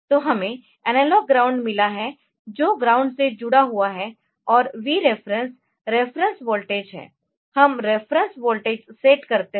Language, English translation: Hindi, So, which is connected to ground and there is a Vref 2 reference voltage so, we used to set the reference voltage